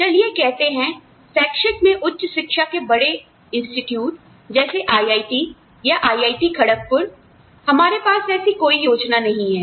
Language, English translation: Hindi, And say, in academics, in the senior institutes of higher education, like IITs, of course, for IIT Kharagpur we do not have, any such plan, yet